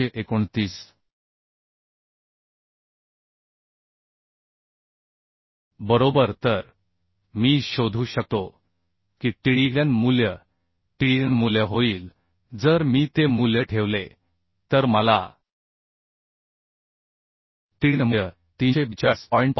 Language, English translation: Marathi, 329 right So I can find out the Tdn value Tdn value will become if I put those value I can find Tdn value as 342